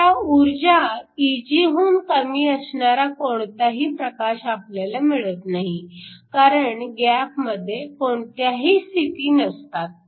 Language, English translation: Marathi, Now, we will not have any light whose energy is less than Eg because you cannot have any states in the gap